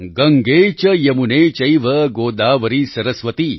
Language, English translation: Gujarati, Gange cha yamune chaiva Godavari saraswati